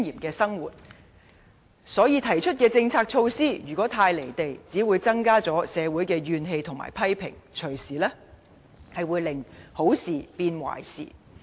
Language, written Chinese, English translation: Cantonese, 如果政府提出的政策措施不切實際，便只會增加社會的怨氣和批評，隨時令好事變壞事。, The Government will only fuel public resentment and attract criticism if its policy measures are impractical . This may even turn good measures into bad ones